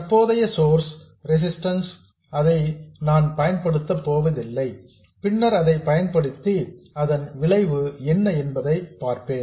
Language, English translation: Tamil, For now I will ignore the source resistance RS, later I will put it in and see what the effect is